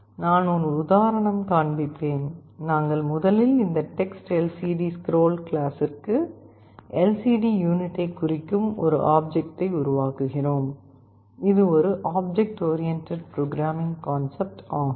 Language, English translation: Tamil, I shall show an example; we first create an object of this TextLCDScroll class, it will create an object that will indicate the LCD unit, this is an object oriented programming concept